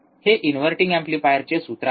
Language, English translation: Marathi, Because this is the inverting amplifier, alright